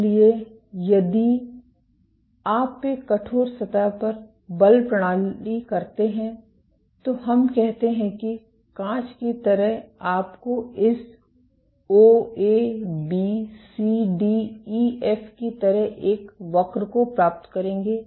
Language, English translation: Hindi, So, if you do force mode on a stiff surface, let us say like glass you would get a curve like this O, A, B, C, D, E, F